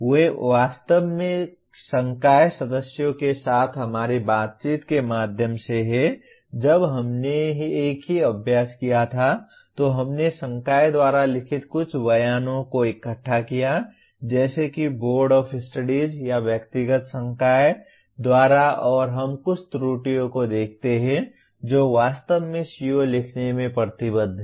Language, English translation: Hindi, They are actually through our interactions with faculty members when we did the same exercise we collected some of the statements written by the faculty as either by Boards of Studies or by the individual faculty and let us look at some of the errors that are actually committed in writing a CO